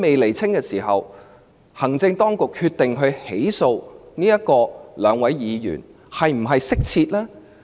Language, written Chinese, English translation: Cantonese, 在此情況下，行政當局決定起訴兩位議員，是否恰當？, Under such circumstances is the Administrations decision to prosecute the two Members appropriate?